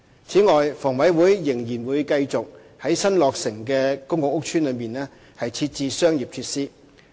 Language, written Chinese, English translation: Cantonese, 此外，房委會仍然會繼續在新落成的公共屋邨內設置商業設施。, In addition HA will continue to provide commercial facilities in newly completed public housing estates